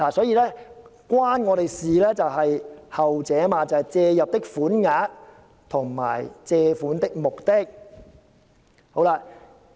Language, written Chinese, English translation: Cantonese, "與我們相關的就是後段，即"借入的款額及借款的目的"。, The last part of the provision is the part related to us that is such sum or sums and for such purposes